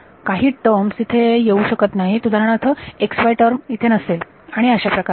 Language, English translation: Marathi, Some terms may not be there like x y term may not be there and so on ok